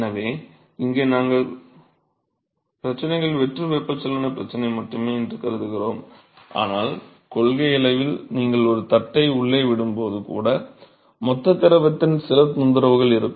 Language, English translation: Tamil, So, here we have assumed that the problems is only free convection problem, but in principle even when you are going to drop a plate inside there is going to be some disturbance of the bulk fluid and